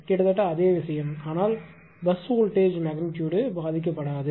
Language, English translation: Tamil, So, almost same thing; but leaves the bus voltage magnitudes essentially unaffected